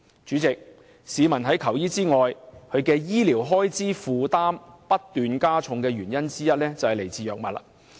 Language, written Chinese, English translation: Cantonese, 主席，除了在求醫時須付出診金外，市民的醫療開支負擔不斷加重的原因之一在於購買藥物。, President the increasing burden of medical expenses on the public is also due to the cost of drugs purchased at their own expense in addition to the fees paid for medical consultation